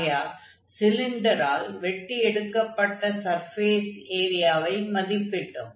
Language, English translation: Tamil, So, we have evaluated the surface area which was cut by the cylinder